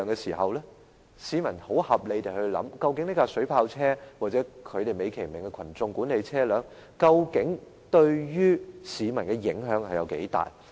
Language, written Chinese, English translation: Cantonese, 市民會很合理地提出質疑，究竟水炮車，或警方美其名稱為"人群管理的特別用途車"，對於市民的影響有多大。, It is only reasonable for members of the public to query what impacts water cannon vehicles or specialized crowd management vehicles―the nice name given by the Police―will have on members of the public